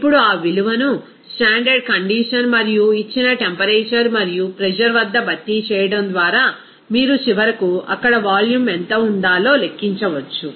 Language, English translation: Telugu, Now, substituting that value at standard condition and the given temperature and pressure, then you can finally calculate what should be the volume there